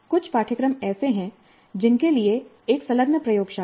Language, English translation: Hindi, There are certain courses for which there is an attached laboratory